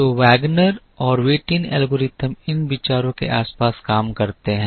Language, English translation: Hindi, So, Wagner and Whitin algorithm works around these ideas